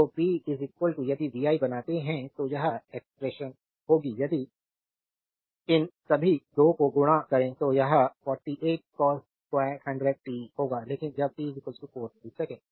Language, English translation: Hindi, So p is equal to if you make vi, it will be expression if you multiply all these 2 it will be 48 cos squared 100 pi t, but when t is equal to 4 millisecond